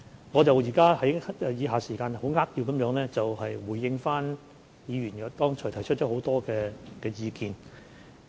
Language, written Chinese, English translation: Cantonese, 我現在會在餘下時間扼要回應議員剛才提出的許多意見。, In the remaining time I will briefly respond to the comments made by Members